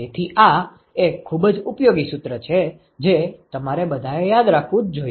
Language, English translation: Gujarati, So, this is a very very useful formula that you must all remember